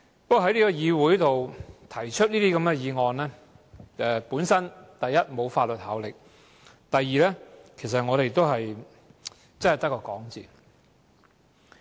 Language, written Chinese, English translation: Cantonese, 不過，在議會上提出這些議員議案，第一，沒有法律效力；第二，其實只是空談。, However such a Members motion proposed in the Council amounts to first no legislative effect and second empty talk indeed